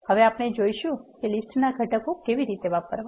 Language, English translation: Gujarati, Now, we can see how to access the components of the list